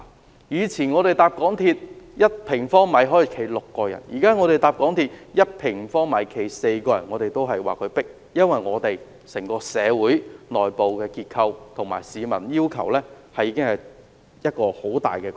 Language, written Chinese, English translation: Cantonese, 港鐵公司以往的載客標準是每平方米站立6人，現時的標準是每平方米站立4人，但我們仍說十分擠迫，因為整個社會的內部結構及市民的要求已經有很大改變。, MTRCL has a standard on its train carrying capacity which has been lowered from six persons per square metre in the past to four persons per square metre at present . But we still find the train compartments very crowded because the internal structure of society and the expectations of the people have changed substantially